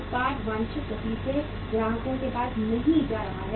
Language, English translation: Hindi, Product is not moving to the customers as at the desired pace